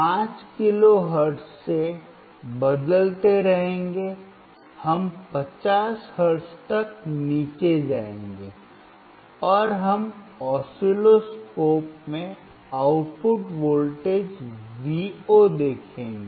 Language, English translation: Hindi, We will keep on changing from 5 kilo hertz we will go down to 50 hertz, and we will see the output voltage Vo in the oscilloscope